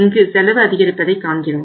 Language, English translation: Tamil, We have seen here the cost has gone up